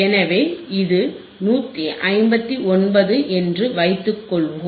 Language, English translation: Tamil, So, let us assume that this is 159